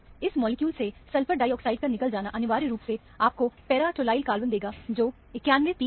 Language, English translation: Hindi, Loss of sulphur dioxide from this molecule, will essentially give you the para tolyl cation, which is the 91 peak